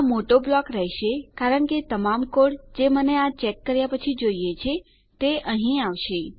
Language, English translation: Gujarati, This will be a big block because all the code that I require after I check this will go in here